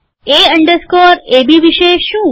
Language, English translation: Gujarati, What about A underscore AB